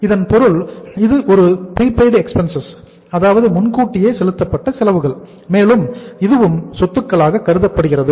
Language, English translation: Tamil, It means this is a prepaid expense and prepaid expenses are also assets